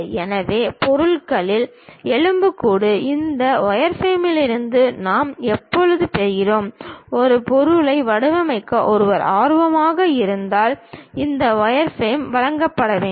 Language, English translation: Tamil, So, the skeleton of the object we always get it from this wireframe and this wireframe has to be supplied, if one is interested in designing an object